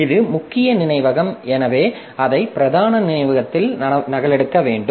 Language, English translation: Tamil, So, it has to be copied into main memory